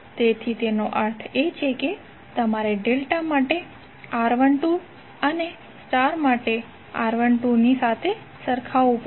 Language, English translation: Gujarati, So that means that, you have to equate R1 2 for star equal to R1 2 for delta